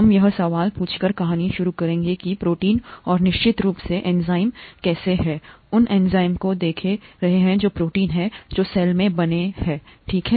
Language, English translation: Hindi, We will begin the story by asking this question, how are proteins and of course enzymes, we are looking at enzymes that are proteins, made in the cell, okay